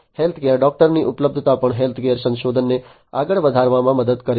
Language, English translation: Gujarati, Availability of healthcare data also helps in advancing health care research